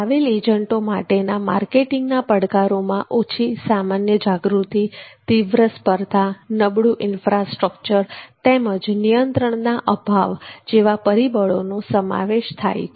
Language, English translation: Gujarati, the marketing challenges for the travel agent are low general awareness intense competition poor infrastructure and lack of control